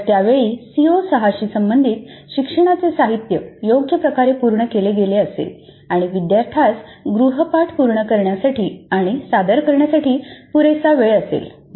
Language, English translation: Marathi, So by the time the instructional material related to CO6 would have been completed reasonably well and the student has time enough to complete the assignment and submit it